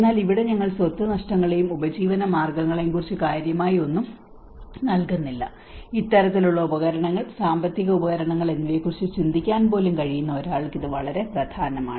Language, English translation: Malayalam, But here we hardly give anything much about the property losses and livelihoods, and this is very important that one who can even think on these kinds of instruments, financial instruments